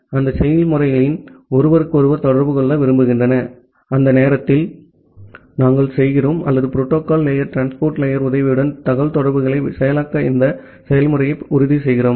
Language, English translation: Tamil, And those processes want to communicate with each other and during that time we make or we ensure this process to process communication with the help of that transport layer of the protocol stack